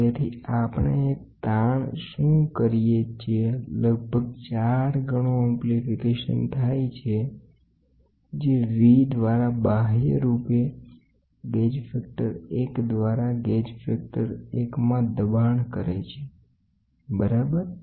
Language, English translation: Gujarati, So, what we do a strain which is approximately 4 times amplification which is V naught by V externally force into gauge factor 1 by gauge factor, ok